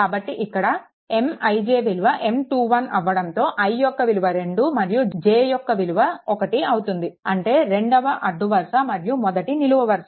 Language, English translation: Telugu, So, here M I j, i is equal to 2 and j is equal to 1 right; that means, you you second row and the first column